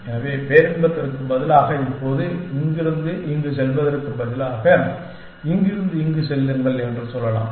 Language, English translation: Tamil, So, instead of bliss now I can instead of going from here to here, I can say go from here to here